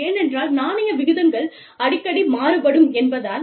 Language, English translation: Tamil, And, because, currency rates fluctuate, very frequently